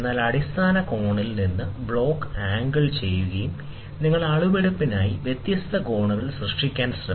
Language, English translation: Malayalam, The angle the block from the base angle, and then you can try to generate different angles for measurement